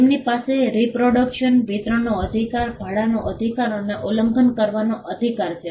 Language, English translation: Gujarati, They have the right of reproduction, right of distribution, right of rental and right of making available